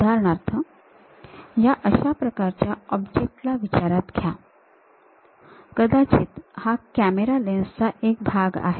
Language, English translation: Marathi, For example, let us consider this kind of object, perhaps a part of the camera lens